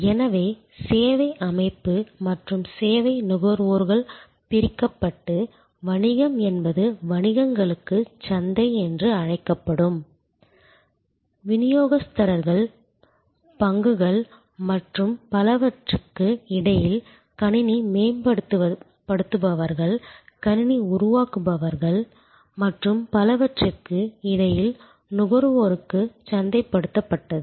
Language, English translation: Tamil, And so service organization and service consumers were separated and the business was what we call market to the businesses, marketed to the consumer in between where distributors, dealers, stock and so on, in between there where system enhancers, system builders and so on